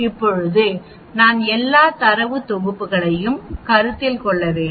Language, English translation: Tamil, Now I need to consider all the data sets